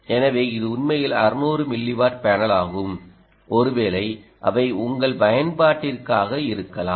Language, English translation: Tamil, so this is really a six hundred milliwatt panel and perhaps, ah, they should be ok for your application